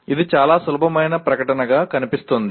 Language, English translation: Telugu, It looks very simple statement